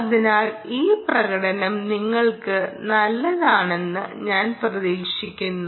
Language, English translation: Malayalam, so i hope this demonstration was good for you